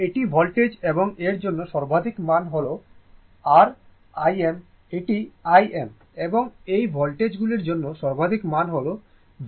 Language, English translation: Bengali, It is the voltage and the peak value for this one is your I m it is I m and peak value for this voltages is V m right